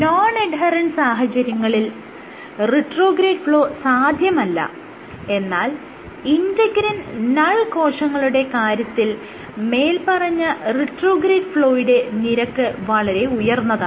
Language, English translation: Malayalam, Under non adherent conditions, you have no retrograde flow, but when you in case of integrin null cells, retrograde flow is very high